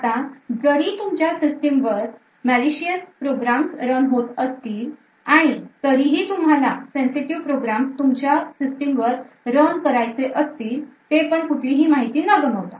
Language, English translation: Marathi, Now in spite of all of these malicious programs running on your system we would still want to run our sensitive program without loss of any information